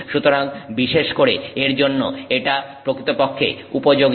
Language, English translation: Bengali, So, for that this is actually particularly useful